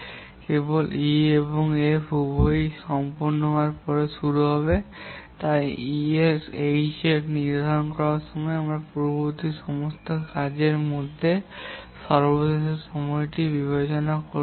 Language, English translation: Bengali, H will start only after E and F both complete and therefore we have to consider the lattice time between all the preceding tasks to set the start time for H